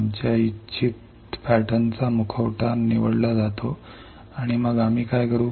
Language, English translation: Marathi, Mask of our desired pattern is selected and then what we will do